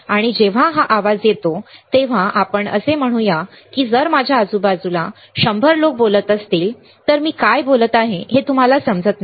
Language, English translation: Marathi, And when this is a noise right at let us say if there are 100 people around me all talking then you may not understand what I am talking